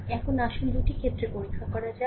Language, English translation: Bengali, So now, let us examine the 2 cases